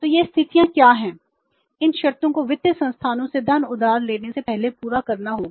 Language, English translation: Hindi, These conditions have to be fulfilled before borrowing the funds from these financial institutions